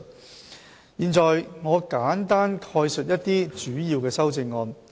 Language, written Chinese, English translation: Cantonese, 我現在簡單概述一些主要的修正案。, I am going to give a brief account of some major amendments